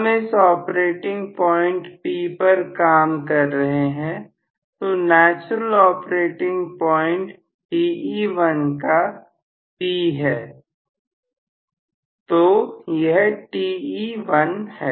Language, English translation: Hindi, May be I was under this operating condition P, so, natural operating point at Te1 is P, so, this is Te1